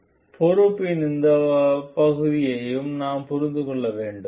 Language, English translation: Tamil, So, we have to understand this part of the responsibility also